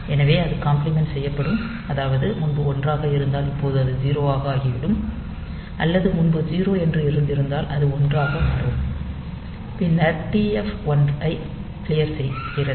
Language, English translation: Tamil, So, it will be complemented so, if it was previously 1 now it will become 0, or if it was 0 previously it will become 1, then it is clearing the TF1 and then it is